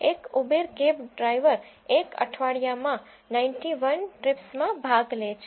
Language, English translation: Gujarati, An Uber cab driver has attended 91 trips in a week